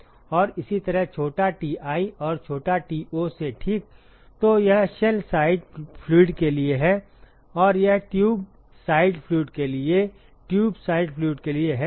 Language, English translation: Hindi, And similarly small ti and small to ok; so, this stands for the shell side fluid and this is for the tube side fluid for the tube side fluid ok